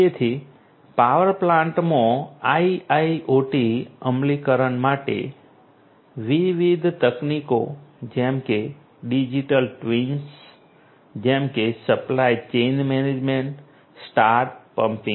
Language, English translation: Gujarati, So, for IIoT implementation in the power plants different technologies such as digital twins such as supply chain management, smart pumping